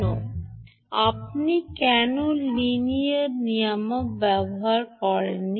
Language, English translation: Bengali, the reason is: why did you not use a linear regulator